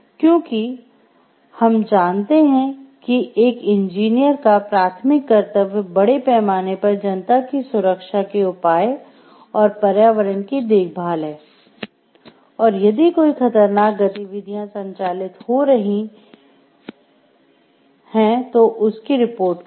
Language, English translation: Hindi, Because we know as the engineers the primary duty of an engineer is to look into the safety measures of the public at large, the environment at large and to report about any hazardous activities taking place